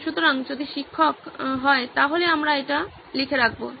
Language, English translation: Bengali, So if teacher, so we will take that down sir